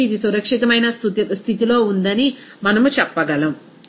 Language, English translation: Telugu, So, we can say that it is in a safe condition